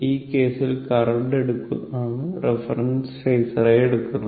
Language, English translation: Malayalam, So, same thing here the current as reference phasor